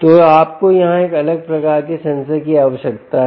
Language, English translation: Hindi, so you need a different type of sensor here